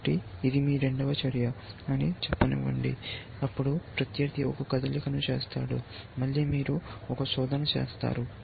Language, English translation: Telugu, So, let say this is your second move; then opponent makes a move; then again you do a search